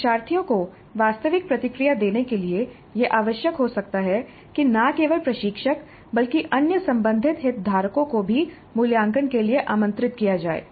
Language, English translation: Hindi, And in order to give a realistic feedback to the learners, it may be necessary that not only the instructor but other concerned stakeholders may also be invited to assess and communicate this to the students upfront